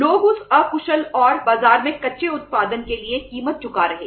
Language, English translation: Hindi, The price people are paying for that inefficient and the raw production in the market